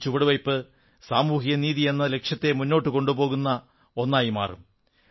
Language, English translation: Malayalam, This step will prove to be the one to move forward our march towards achieving the goal of social justice